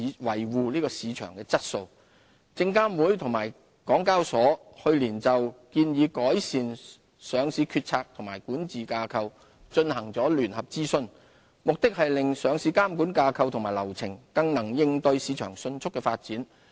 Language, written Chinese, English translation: Cantonese, 證券及期貨事務監察委員會及香港交易所去年就"建議改善上市決策及管治架構"進行聯合諮詢，目的是令上市監管架構及流程更能應對市場迅速的發展。, The Securities and Futures Commission SFC and the Hong Kong Exchanges and Clearing Limited HKEx jointly conducted a consultation on proposed enhancements to the decision - making and governance structure for listing regulation last year . The consultation aimed to enable the listing regulatory structure and procedures to better respond to rapid developments in the market